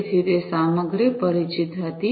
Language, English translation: Gujarati, So, that was content aware